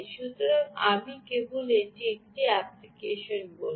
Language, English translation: Bengali, so i will just call it an app